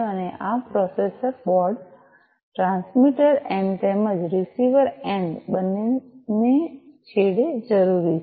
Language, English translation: Gujarati, And this processor board is required at both the ends the transmitter end as well as the receiver end, right